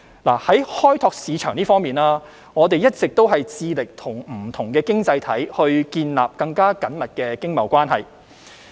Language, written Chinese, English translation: Cantonese, 在開拓市場方面，我們一直致力與不同的經濟體建立更緊密經貿關係。, With regard to market development we have been building closer economic and trade relations with various economies